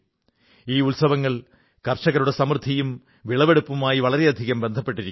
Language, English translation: Malayalam, These festivals have a close link with the prosperity of farmers and their crops